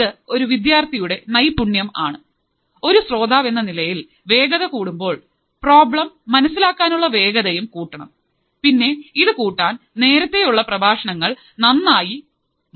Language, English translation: Malayalam, This is another skill that as a student, as a listener, we should develop that if the speed is increased our capability of understanding the problem should also increase and that can increase only when we are clear with the earlier lectures